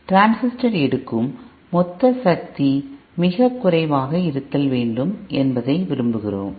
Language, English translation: Tamil, We want that the total power consumed by our transistor is very less